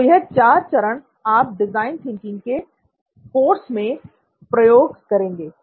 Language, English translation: Hindi, So, these are the four stages that you will be using as part of the design thinking course